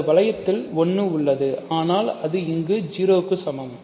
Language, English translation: Tamil, So, in this ring there is a 1, but it is equal to 0